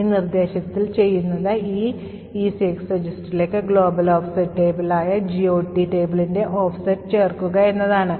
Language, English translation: Malayalam, In this instruction what we do is add the offset of the GOT table, the global offset table to this ECX register